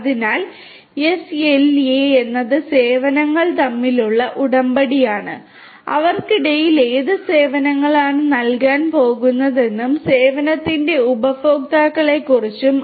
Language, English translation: Malayalam, So, SLA is Service Level Agreement between whom, between the provider about what services are going to be provided and the consumers of the service